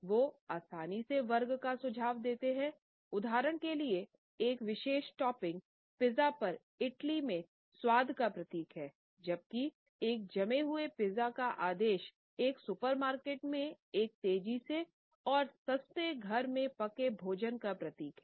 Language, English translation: Hindi, They easily suggest class for example, a particular topping on a pizza signifies a taste in Italy whereas, ordering a frozen pizza in a supermarket signifies a fast and cheap home cooked meal